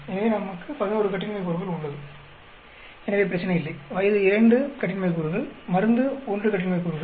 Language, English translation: Tamil, So, we have 11 degrees of freedom, so there is no problem; age is 2 degrees of freedom; drug is 1 degree of freedom